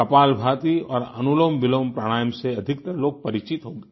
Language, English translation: Hindi, Most people will be familiar with 'Kapalbhati' and 'AnulomVilom Pranayam'